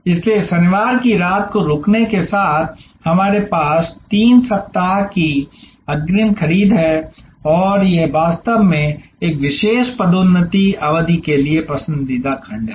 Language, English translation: Hindi, So, here we have three weeks advance purchase with Saturday night stay over and this is actually a preferred segment for a particular promotion period